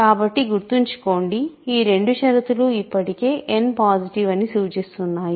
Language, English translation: Telugu, So, remember, these two conditions already imply that n is positive